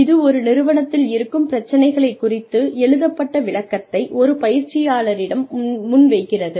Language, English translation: Tamil, Which presents a trainee, with the written description of an organizational problem